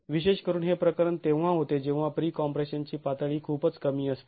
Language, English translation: Marathi, This is particularly the case when the level of pre compression is very low